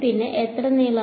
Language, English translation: Malayalam, And how much length